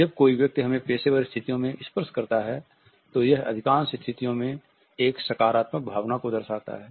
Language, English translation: Hindi, When another person touches us in a professional setting, it validates a positive feeling in most of the situations